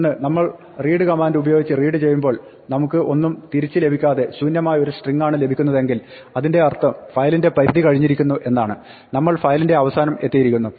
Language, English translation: Malayalam, So, one is if we try to read using the read command and we get nothing back, we get an empty string that means the file is over, we have reached end of file